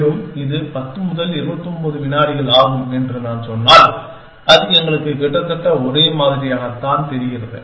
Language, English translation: Tamil, And if I say it takes 10 to 29 seconds, it sounds almost the same to us